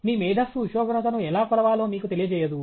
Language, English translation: Telugu, Your brilliance will not let you know how to measure temperature